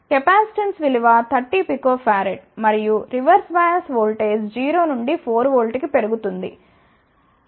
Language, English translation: Telugu, The capacitance value is 30 Picofarad and as the reverse bias voltage increases from 0 to 4 volt ah